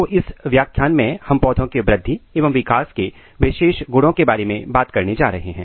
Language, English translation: Hindi, So, in this lecture what we are going to talk, about the Characteristics feature of Plant Growth and Development